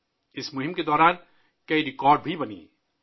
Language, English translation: Urdu, Many records were also made during this campaign